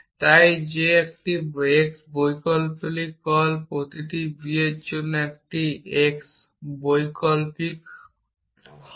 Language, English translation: Bengali, So that is call an x variant of a so for every b that is an x variant o f a